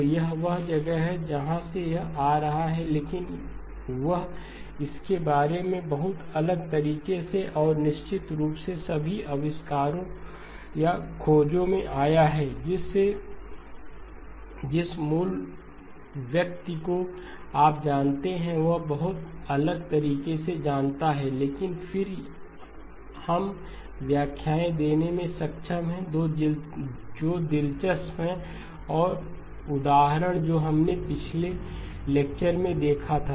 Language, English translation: Hindi, So that is where it is coming from, but he came about it in a very different way and of course as in all inventions or discoveries, the original person you know thought of it in a very different way, but then we are able to give interpretations that are interesting and so the example that we looked at in the last lecture